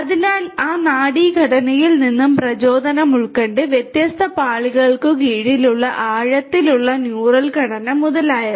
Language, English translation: Malayalam, So, inspired from that neural structure, the deep neural structure that is underneath different different layers etc